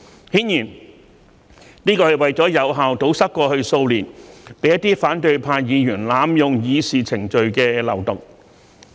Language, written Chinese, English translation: Cantonese, 顯然，這是為了有效堵塞過去數年被一些反對派議員濫用議事程序的漏洞。, Obviously this serves to effectively plug the loophole of abuse of procedure by certain Members from the opposition camp in the past few years